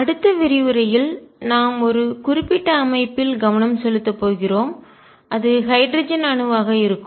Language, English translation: Tamil, In the next lecture we are going to focus on a particular system and that will be the hydrogen atom